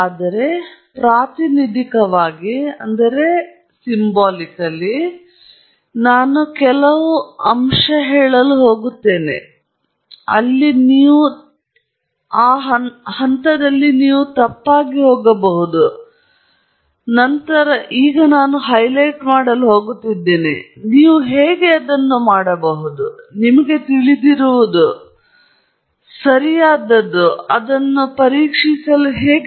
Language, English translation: Kannada, But, representatively, I am going to pick a few, I am going to highlight, where you can go wrong, and then, I am also going to highlight, how you can, you know, correct for it; how you can cross examine it; how you can make it better